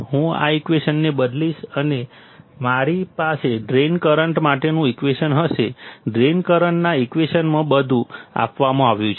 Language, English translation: Gujarati, I substitute this equation and I will have a equation for drain current; in the equation of the drain current everything is given